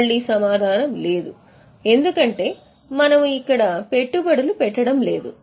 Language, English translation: Telugu, Again the answer is no because we are not making investments here